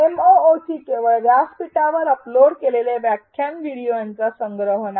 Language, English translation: Marathi, A MOOC again is not merely a collection of lecture videos uploaded on a platform